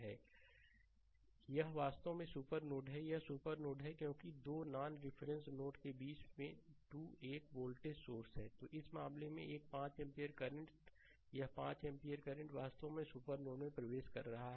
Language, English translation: Hindi, This is actually super node this is supernode because 2 1 voltage source is there in between 2 non reference node; so, in this case, a 5 ampere current this 5 ampere current actually entering the super node